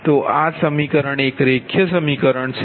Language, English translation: Gujarati, so this equation, this is a linear, linear equation, right